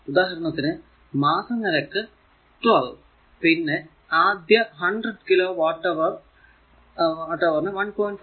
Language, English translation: Malayalam, For example base monthly charge is rupees 12 first 100 kilowatt hour per month at rupees 1